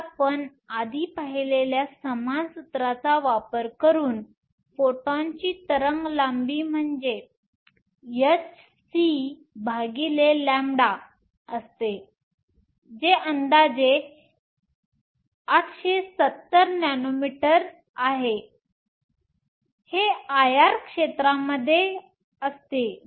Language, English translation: Marathi, So, the wave length of the photon using the same formula that we saw before is nothing but h c over E g which is approximately 870 nanometers, this lies in the IR region